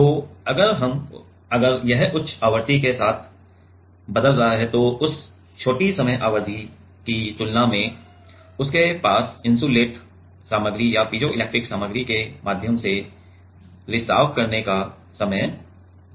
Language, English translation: Hindi, So, in if we if it is changing with high frequency, than in that small time period it does not have time to leak through the insulating material or through the piezoelectric material